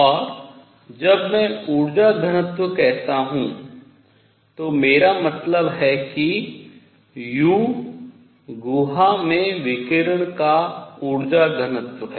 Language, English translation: Hindi, And when I say energy density I mean u is the energy density of radiation in the cavity